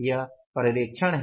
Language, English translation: Hindi, This is the supervision